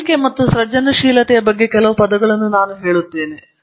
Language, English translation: Kannada, Let me say a few words about learning and creativity